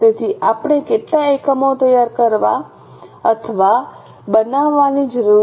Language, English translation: Gujarati, So, how many units we need to prepare or manufacture